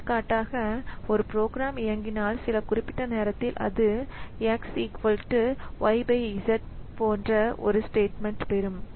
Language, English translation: Tamil, For example, if a program is executing and at some point of time it has got a statement like x equal to y by z